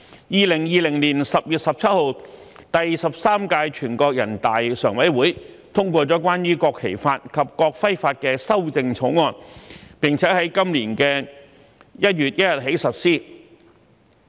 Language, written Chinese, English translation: Cantonese, 2020年10月17日，第十三屆全國人大常委會通過了關於《國旗法》及《國徽法》的修正草案，並於今年1月1日起實施。, On 17 October 2020 the Standing Committee of the 13th National Peoples Congress endorsed the amendments to the National Flag Law and the National Emblem Law which came into force on 1 January this year